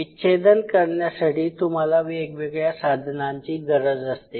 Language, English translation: Marathi, So, for dissection you will be needing dissecting instruments